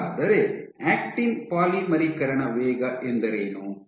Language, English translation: Kannada, So, what is actin polymerization rate